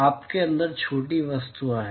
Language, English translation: Hindi, You have small objects inside